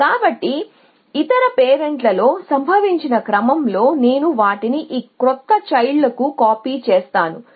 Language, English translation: Telugu, So, in the order in which occurred in the other parent I copy them in to this new child